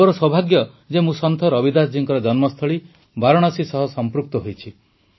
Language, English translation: Odia, It's my good fortune that I am connected with Varanasi, the birth place of Sant Ravidas ji